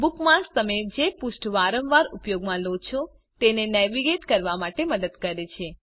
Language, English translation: Gujarati, Bookmarks help you navigate to pages that you use often